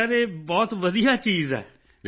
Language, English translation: Punjabi, Yes Sir, it is a very nice thing